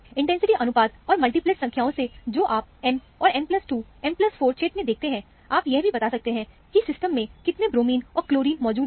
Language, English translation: Hindi, From the intensity ratios and the number of multiplets that you see in the M and M plus 2, M plus 4 region, you can even tell how many bromines and chlorines are present in the system